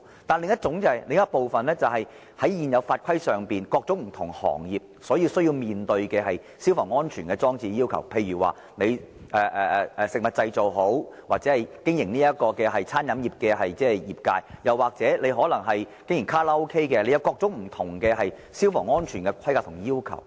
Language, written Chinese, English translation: Cantonese, 但是，另一部分是在現行法規下，各種不同行業需要面對的消防安全要求，例如對食物製造或經營餐飲業的業界，甚或是經營卡拉 OK 的，都有各種不同的消防安全的規格和要求。, Another part of fire safety control however concerns the fire safety requirements to be observed by individual industries under the existing rules and regulations . For example different industries such as the food production industry the catering industry or even Karaoke operators have to observe different sets of fire safety specifications and requirements